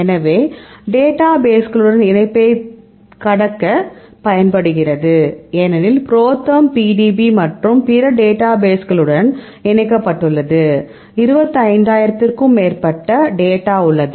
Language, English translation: Tamil, So, then it is used to cross link with our databases because, ProTherm is linked with the PDB and also various other databases, we have more than 25000 data